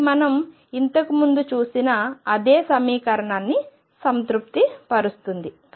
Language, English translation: Telugu, So, this satisfies the same equation as we saw earlier and therefore, this is the solution